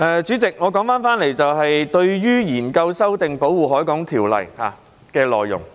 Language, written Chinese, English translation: Cantonese, 主席，說回議員擬研究及修訂的《條例》的內容。, President back to the contents of the Ordinance which Members intend to examine and amend